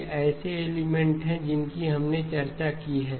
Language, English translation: Hindi, These are elements that you can that we have discussed